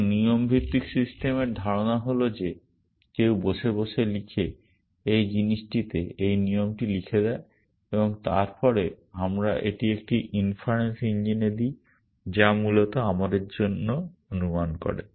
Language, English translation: Bengali, So, the idea of rule based systems is that somebody sits and write down, writes down this rule in this thing and then we give it to an inference engine which basically does the inferencing for us